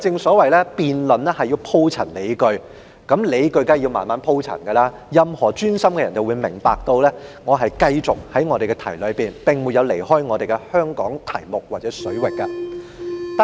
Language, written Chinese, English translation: Cantonese, 不過，辯論需要鋪陳理據，理據需要慢慢鋪陳，任何專心聆聽的人都會明白，我一直都在議題範圍內，並沒有離開有關香港水域的題目。, However arguments need to be elaborated at a slow pace in a debate . Anyone who has been attentive will understand that I have all along been within the scope of the subject and never deviated from the subject of Hong Kong waters